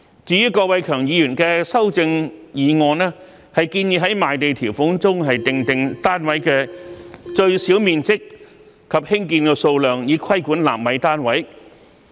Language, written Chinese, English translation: Cantonese, 至於郭偉强議員的修正案，建議在賣地條款中訂定單位的最小面積及興建數量，以規管納米單位。, With regard to Mr KWOK Wai - keungs amendment he has proposed to stipulate the minimum size and the number of flats to be constructed in the land sale conditions to regulate nano flats